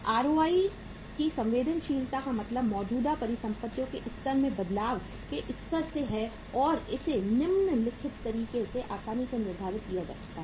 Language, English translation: Hindi, Means sensitivity of ROI to the level to the changes in the level of the current assets and this can easily be determined in the following manner